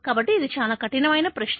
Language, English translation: Telugu, So, it is extremelytough question to ask